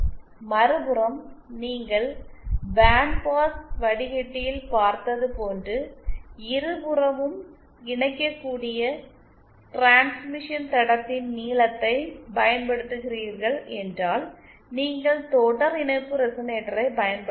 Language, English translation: Tamil, If on the other hand you are using length of the transmission line which can be connected on both sides as we saw for band pass filter, then you may use a series resonator